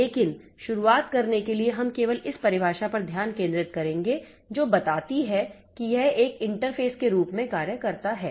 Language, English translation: Hindi, But to start with, we will be, we will concentrate on this definition only that tells that this acts as an interface